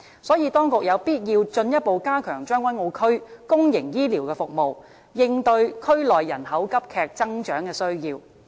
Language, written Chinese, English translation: Cantonese, 所以，當局有必要進一步加強將軍澳區公營醫療的服務，應對區內人口急劇增長的需要。, For this reason it is necessary for the authorities to further enhance the public healthcare services in Tseung Kwan O to cater for the needs arising from rapid population growth in the district